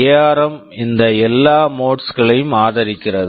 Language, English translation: Tamil, ARM supports all these modes